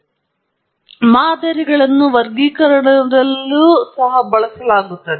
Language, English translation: Kannada, So, models are heavily used in classification as well